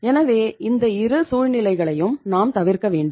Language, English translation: Tamil, So it means we have to avoid both the situations